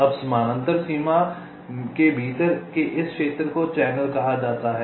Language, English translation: Hindi, now this region within the parallel boundary is called as channel